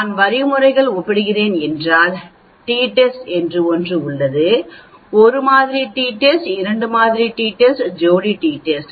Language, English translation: Tamil, Then if I am comparing means then there is something called t test, the one sample t test, the two sample t test, paired t test